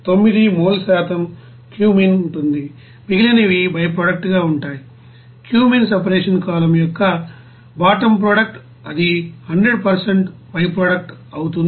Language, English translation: Telugu, 9 mole percent of cumene whereas remaining will be byproduct, bottom product of cumene separation column it will be 100% you know byproduct it is assumed